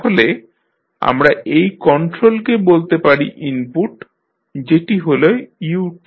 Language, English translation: Bengali, So, let us say this is control is the input that is u t